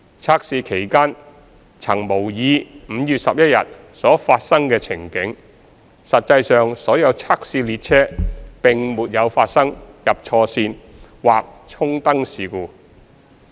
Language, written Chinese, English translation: Cantonese, 測試期間曾模擬5月11日所發生的情境，實際上所有測試列車並沒有發生"入錯線"或"衝燈"事故。, During the tests the scenario of the 11 May incident was simulated . In fact there was no test train entering incorrect route or signal passed at danger SPAD